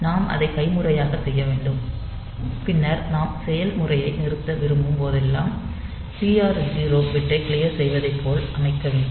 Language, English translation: Tamil, So, we have to do it manually, and then whenever we want to stop the process we have to set clear the TR 0 bit